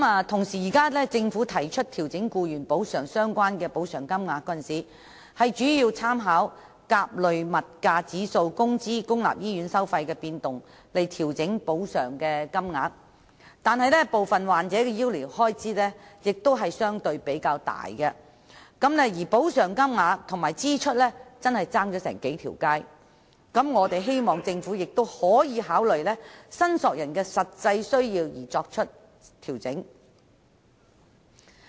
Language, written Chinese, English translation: Cantonese, 同時，政府在調整僱員補償金額時，主要是以甲類消費物價指數、工資及公立醫院收費的變動作為參考，但部分患者的醫療開支相對較大，故補償金額與醫療支出之間的差距甚遠，因此我們希望政府能考慮按申索人的實際需要而作出調整。, Moreover when the amount of employees compensation is adjusted reference will mainly be made to the movements in Consumer Price Index A employees wage level and fees and charges for public health care services . However medical expenses incurred by some patients are relatively higher and there is thus a huge gap between the compensation amount and the actual amount of medical expenses . Hence it is our hope that consideration would be given by the Government to adjusting the compensation amount according to the actual needs of claimants